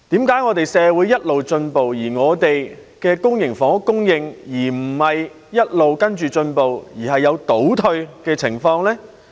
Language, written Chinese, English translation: Cantonese, 為何社會一直進步，本港的公營房屋供應卻沒有同時進步，而是有倒退的情況呢？, Our society has been advancing how come the supply of public housing in Hong Kong has not improved at the same time but regressed instead?